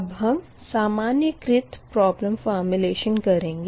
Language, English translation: Hindi, next is that general problem formulation